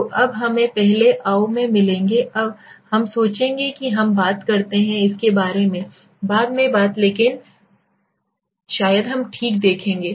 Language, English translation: Hindi, So now let us get into first the anova we will think we talk about it later things but maybe we will see okay